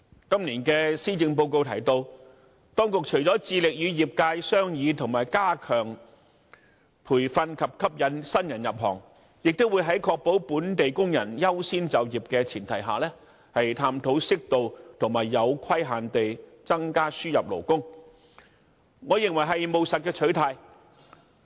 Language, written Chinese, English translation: Cantonese, 今年的施政報告提到，當局除了致力與業界商議如何加強培訓及吸引新人入行外，亦會在確保本地工人優先就業的前提下，探討適度和有規限地增加輸入勞工，我認為是務實的取態。, In this years Policy Address it is mentioned that apart from devoting efforts to discussing with relevant industries ways to enhance training and attract new recruits the Administration will also on the premise that local workers priority for employment will be safeguarded explore the possibility of increasing imported labour on an appropriate and limited scale . In my view it is a pragmatic attitude